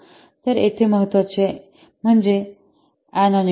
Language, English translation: Marathi, So, here the important is anonymity